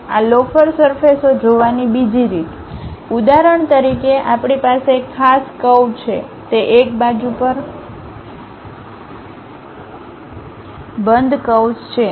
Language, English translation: Gujarati, The other way of looking at this lofter surfaces for example, we have one particular curve it is a closed curve on one side